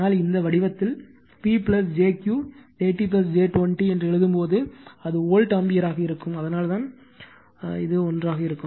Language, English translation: Tamil, But, when you write in this form P plus jQ 30 plus j 20, it will be volt ampere that is why this together